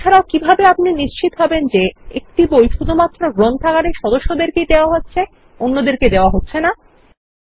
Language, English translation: Bengali, Or how will you ensure that a book is issued to only members of the library and not anyone else